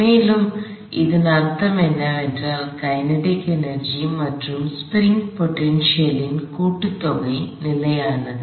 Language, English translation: Tamil, And what this means is that the sum total kinetic energy plus the spring potential energy is constant